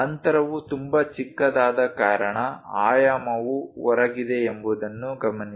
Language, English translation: Kannada, Note that the dimension is outside because the gap is too small